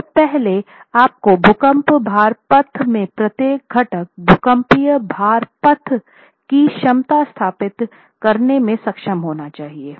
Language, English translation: Hindi, So first you need to be able to establish the capacity of each component in the earthquake load path, the seismic load path